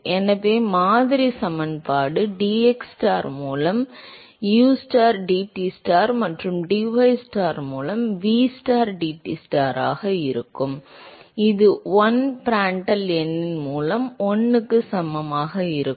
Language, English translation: Tamil, So, the model equation be ustar dTstar by dxstar plus vstar dTstar by dystar that is equal to 1 by Prandtl number into Reynolds number d square Tstar by dystar square